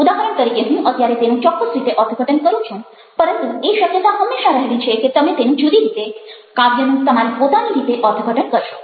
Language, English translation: Gujarati, for instance, i interpret it in a particular way now, but there is always a possibly that you would interpret in a different way, in your own way of way to do that with poems